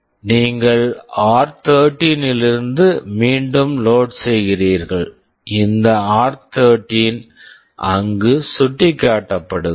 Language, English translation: Tamil, You load again from r13; this r13 is pointing there